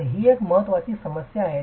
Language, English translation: Marathi, So, it is an important problem